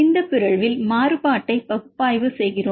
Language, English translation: Tamil, In this mutation we just analyze the variation of properties